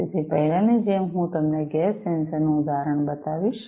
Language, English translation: Gujarati, So, like before let me show you the example of a gas sensor